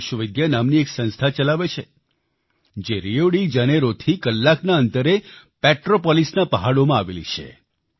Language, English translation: Gujarati, He runs an institution named Vishwavidya, situated in the hills of Petropolis, an hour's distance from Rio De Janeiro